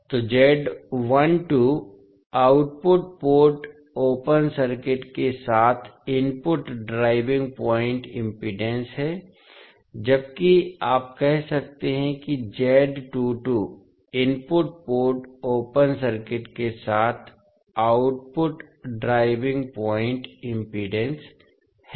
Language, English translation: Hindi, So, Z12 is the input driving point impedance with the output port open circuited, while you can say that Z22 is the output driving point impedance with input port open circuited